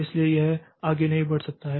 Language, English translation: Hindi, So, it cannot proceed further